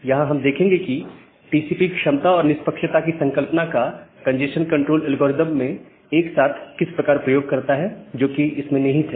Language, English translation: Hindi, So, here we will look into that how TCP utilizes the concept of capacity and fairness together in the congestion control algorithm, which it incorporated